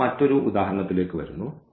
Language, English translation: Malayalam, So, now coming to another example